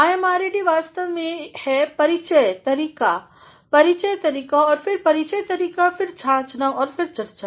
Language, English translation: Hindi, IMRAD is actually introduction method, introduction method and then introduction method, then analysis and then discussion